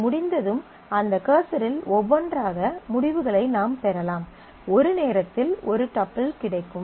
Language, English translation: Tamil, And then once that has been done, then you can fetch the results into that cursor one by one; one tuple at a time